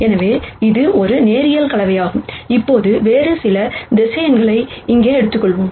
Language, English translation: Tamil, So, that is one linear combination, now let us take some other vector here